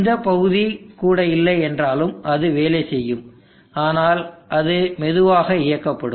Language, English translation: Tamil, If this portion is not there even then it will work, but it will be with slower turn on